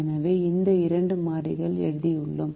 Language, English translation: Tamil, so we have written these two variables